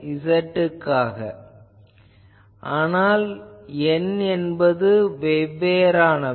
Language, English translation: Tamil, So, this is a cosine, but it is at different n